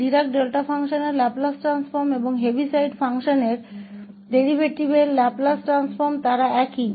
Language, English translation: Hindi, So, the Laplace transform of the Dirac Delta function and the Laplace transform of the derivative of the Heaviside function they are the same